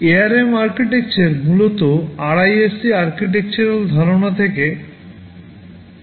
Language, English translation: Bengali, So, ARM architecture essentially borrows the concepts from the RISC idea, from the RISC architectural concept ok